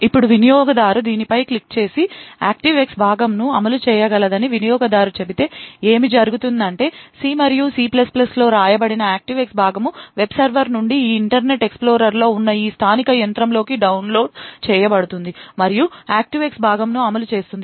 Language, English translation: Telugu, Now if the user clicks on this and the user says that the ActiveX component can run then what would happen is that the ActiveX component which is written in C and C++ would be downloaded from the web server into this local machine where this Internet Explorer is present and that ActiveX component will execute